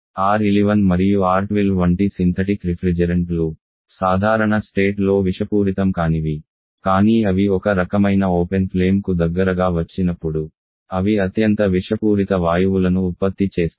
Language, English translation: Telugu, Synthetic refrigerants like our R11 R12 they are non toxic under normal condition, but when they come in close to some kind open flame they produces highly toxic gases